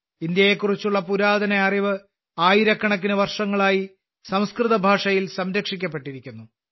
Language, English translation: Malayalam, Much ancient knowledge of India has been preserved in Sanskrit language for thousands of years